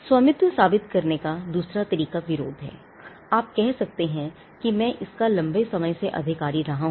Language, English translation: Hindi, The other way to prove ownership is opposition, you could say that I have been possessing this for a long time, this is my pen